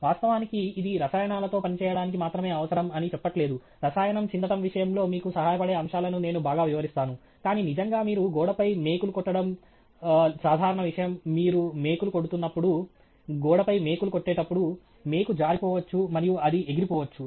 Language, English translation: Telugu, And in fact, this is necessary not just for working with chemicals, I highlighted the aspects of it that would help you in the case of a chemical spill, but really even if you are, you know, putting a nail on a wall, the common thing that happens is as you are nailing, hitting the nail on wall, the nail slips and it flies off